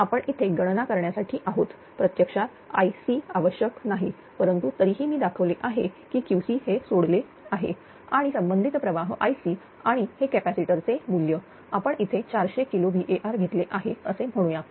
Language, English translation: Marathi, So, you although here for the calculation this I c actually is not require, but still I have showing that Q c being injected and corresponding current is I c and this capacitor value; say we have taken 400 kilowatt right